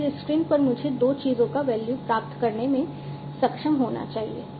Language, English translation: Hindi, And then on the screen I should be able to get the value of two things